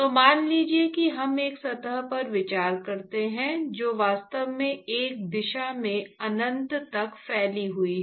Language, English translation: Hindi, So, let us say we consider a surface which actually extends all the way up to infinity in one direction